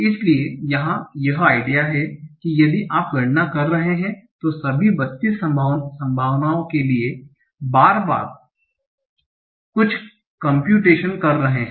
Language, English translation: Hindi, So the idea here is that if you are enumerating all the 32 possibilities, you are doing some computations again and again